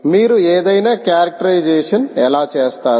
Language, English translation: Telugu, how will you do any characterization